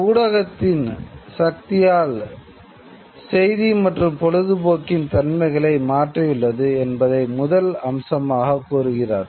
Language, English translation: Tamil, First point he says that the power of the medium has altered news and entertainment